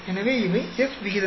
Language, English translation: Tamil, So, these are the F ratios